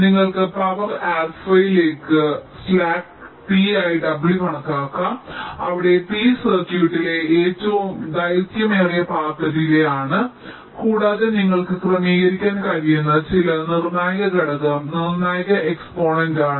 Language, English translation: Malayalam, you can calculate w as one minus slack divide by t to the power, alpha, where t is the longest path delay in the circuit, and alpha is some critically exponent, critical to exponent, which you can adjust